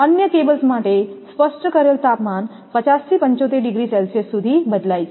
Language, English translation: Gujarati, For other cables the specified temperatures vary from 50 to 75 degree Celsius